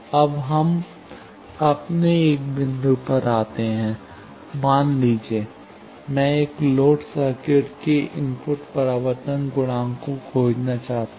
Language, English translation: Hindi, Now, let us come to our one point that, suppose, I want to find the input reflection coefficient of a loaded circuit